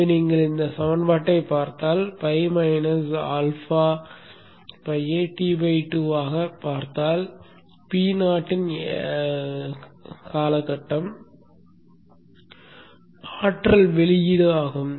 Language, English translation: Tamil, So if you if you look at this equation, pi minus alpha by pi into t by two is the weighted period into p not the power put to you